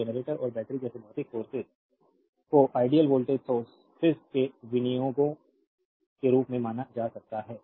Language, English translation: Hindi, So, physical sources such as generators and batteries may be regarded as appropriations to ideal voltage sources